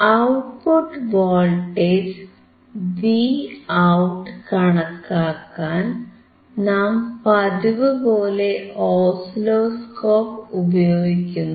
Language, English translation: Malayalam, For voltage at output Vout we are using oscilloscope